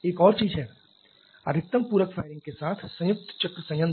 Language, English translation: Hindi, There is another thing combined cycle plant with maximum supplementary firing